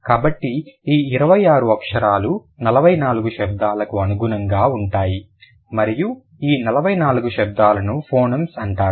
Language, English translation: Telugu, So, this 26 letters correspond to 44 sounds and these 44 sounds are known as phonyms